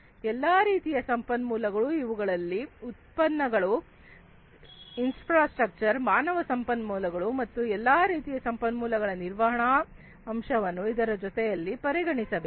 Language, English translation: Kannada, All kinds of resources including the product, the infrastructure, the human resources and all kinds of resources the management aspect of it should also be consideration alongside